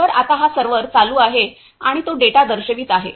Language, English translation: Marathi, So, now this is the server, it is running and it is showing the data